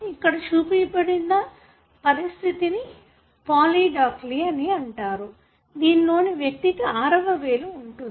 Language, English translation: Telugu, What is shown here is a condition that is called as polydactyly, wherein individual could have a sixth finger